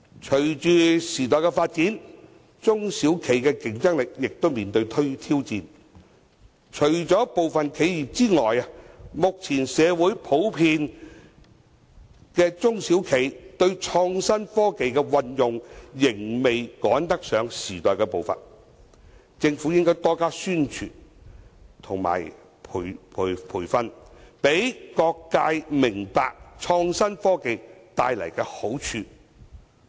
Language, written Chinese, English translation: Cantonese, 隨着時代發展，中小企的競爭力面對挑戰，除了部分企業之外，目前社會普遍中小企對創新科技的運用仍未趕得上時代步伐，政府應該多加宣傳和培訓，讓各界明白創新科技所帶來的好處。, Over time SMEs have encountered challenges in terms of their competitiveness . Except certain enterprises SMEs in our community generally lag behind the present - day pace in the application of innovative technologies . The Government should step up its publicity and training efforts so as to arouse the awareness of different sectors on the benefits of innovative technologies